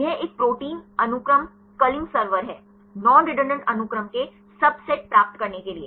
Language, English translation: Hindi, This is a protein sequence culling server; to get the subsets of non redundant sequences